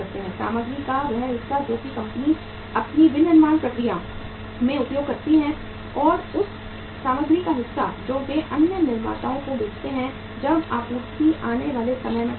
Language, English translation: Hindi, Part of the material they use in their own manufacturing process and part of the material they sell it to the other manufacturers when the supply is short in the time to come